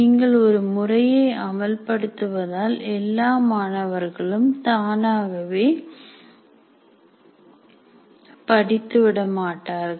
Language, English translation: Tamil, Just because you applied a method, it doesn't mean that every student automatically will learn